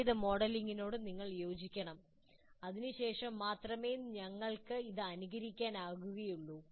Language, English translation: Malayalam, We have to agree with the kind of modeling that we have done